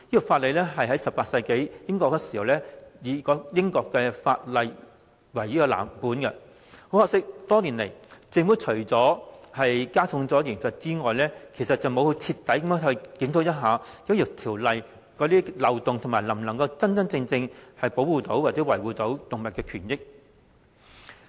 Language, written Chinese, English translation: Cantonese, 《條例》是以18世紀英國法律為藍本，多年來政府除了加重罰則外，並無徹底檢討《條例》的漏洞，亦未有考慮法例能否真正保護動物的權益。, The Ordinance is modelled on an 18 - century British law . Over the years other than increasing the penalties the Government has never thoroughly reviewed the loopholes in the Ordinance; neither has it seriously considered whether the Ordinance can truly protect animal rights